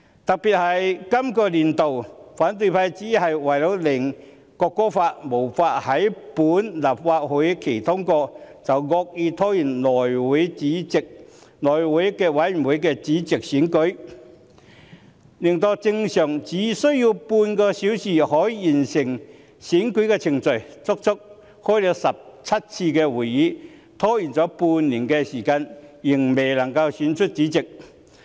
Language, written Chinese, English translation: Cantonese, 特別是本年度，反對派只是為了令《國歌條例草案》無法於本會期通過，便惡意拖延內務委員會的主席選舉，令正常只需要半個小時便可完成的選舉程序，拖延半年的時間，足足舉行了17次會議，仍未能夠選出主席。, In this legislative session in particular the opposition have solely for impeding the passage of the National Anthem Bill within this session maliciously delayed the election of the Chairman of the House Committee such that the election process which can normally be concluded within half an hour has dragged on for half a year . Seventeen meetings have been held but the Chairman has yet to be elected